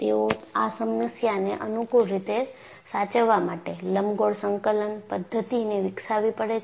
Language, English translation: Gujarati, And, they had to develop elliptical coordinate system to conveniently handle the problem